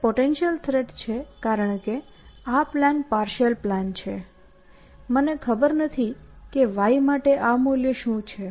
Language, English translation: Gujarati, It is a potential threat, because my plan is a partial plan; I do not know what this value for y is